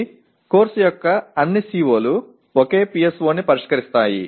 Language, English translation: Telugu, So all the COs of the course will address the same PSO